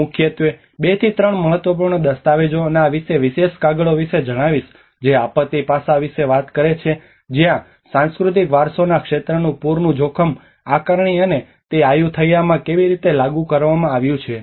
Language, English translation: Gujarati, I am going to refer about mainly two to three important documents and this particular paper Which talks about the disaster aspect of it where the flood risk assessment in the areas of cultural heritage and how it has been applied in the Ayutthaya